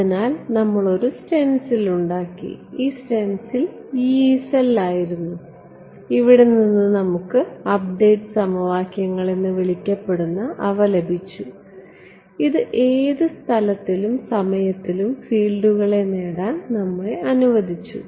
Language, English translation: Malayalam, So, we made a stencil right, this stencil was the Yee cell right and from here we got the so, called update equations which allowed us to step the fields in space and time